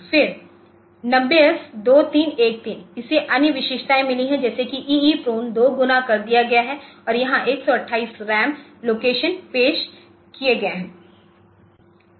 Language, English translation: Hindi, Then 90S2313, so, it has got other features as EEPROM ideas doubled and there is a 128 RAM locations are introduced